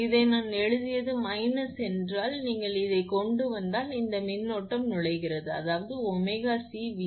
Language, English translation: Tamil, And this one I have written minus means if you bring to this this one, this current is entering it will be omega C V 3 plus 0